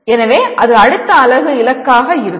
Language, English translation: Tamil, So that will be the goal of next unit